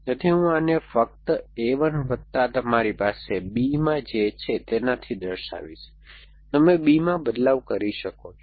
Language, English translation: Gujarati, So, I will just write this as a 1 plus the following that you have holding b, you can do something with b